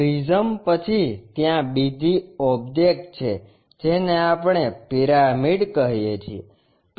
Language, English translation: Gujarati, After prisms there is another object what we call pyramids